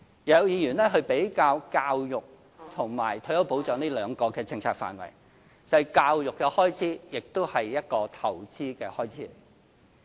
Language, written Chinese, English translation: Cantonese, 有議員比較教育和退休保障這兩個政策範圍，教育的開支也是一個投資的開支。, Some Members have compared the two policy areas of education and retirement protection in which I will say that education expense is a form of investment too